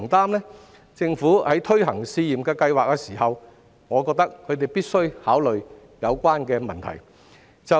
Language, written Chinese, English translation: Cantonese, 我認為政府在推行試驗計劃時，必須考慮有關的問題。, I opine that the Government must consider the relevant issues when implementing the pilot schemes